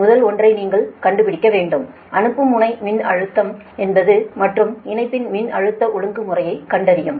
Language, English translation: Tamil, we have to find out the first one, find a, the sending end voltage and voltage regulation of the line